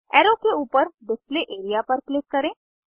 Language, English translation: Hindi, Click on the Display area above the arrow